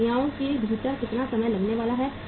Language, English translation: Hindi, How much time it is going to take within the processes